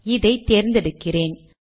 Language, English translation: Tamil, So let me select it